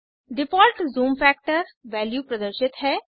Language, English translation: Hindi, The default zoom factor(%) value is displayed